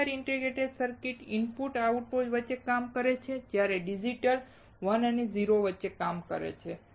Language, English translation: Gujarati, Linear integrated circuits work linearity between input and output while digital works on 1 and 0